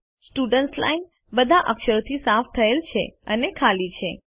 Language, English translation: Gujarati, The Students Line is cleared of all characters and is blank